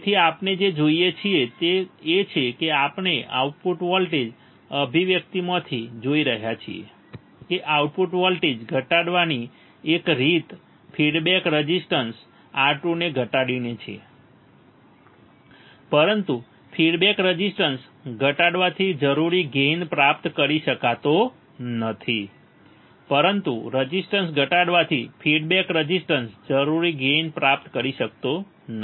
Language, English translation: Gujarati, So, what we see is that we are going to see from the output voltage expression that one way to decrease output voltage is by minimizing the feedback resistance R 2, but decreasing the feedback resistance the required gain cannot be achieved, but decreasing resistance the feedback resistance the required gain cannot be achieved, right